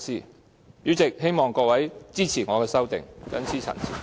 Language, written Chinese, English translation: Cantonese, 代理主席，我希望各位支持我的修正案，謹此陳辭。, Deputy Chairman I hope Members will support my amendment . I so submit